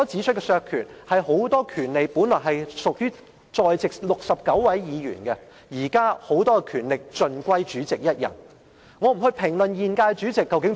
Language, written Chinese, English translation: Cantonese, 關於削權這個問題，很多權利本來屬於在席的69位議員，現在權力卻大部分集中在主席一人身上。, Concerning the slashing of Members powers many powers originally belonged to the 69 Members who are present here . But now the powers are concentrated mostly on the President alone